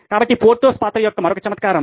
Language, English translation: Telugu, So another quirk of Porthos’s character